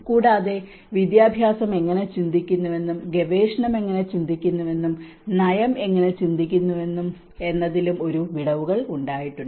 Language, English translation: Malayalam, Also, there has been gaps in how education thinks and how research thinks and how the policy thinks how the practice